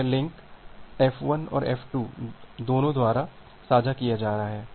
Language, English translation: Hindi, So, this link is being shared by both F1 and F2